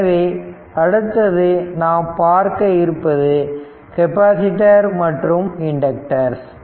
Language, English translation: Tamil, So, next you come to the capacitor and inductors